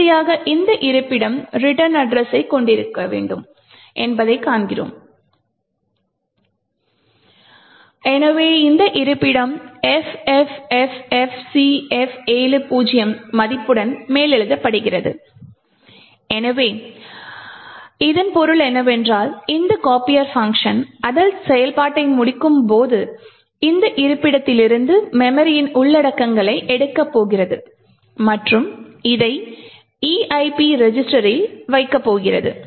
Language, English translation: Tamil, And, finally we see that this location which was supposed to have the return address, so this location is overwritten with the value FFFFCF70, so what this means is that when this copier function completes its execution it is going to pick the memory contents from this location and put this into the EIP register